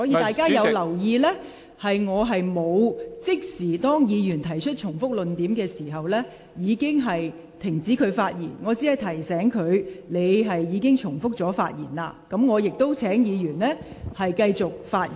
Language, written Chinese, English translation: Cantonese, 大家如有留意，當議員重複論點時，我並沒有即時指示議員停止發言，而只是提醒議員正重複論點，我亦隨而請有關議員繼續發言。, If Members have noticed they would find that when Members repeated arguments I did not direct Members to stop speaking immediately but reminded them that they were being repetitive . I then asked the Member concerned to continue to speak